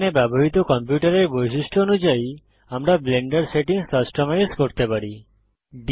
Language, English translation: Bengali, Here we can customize the Blender settings according to the properties of the computer we are using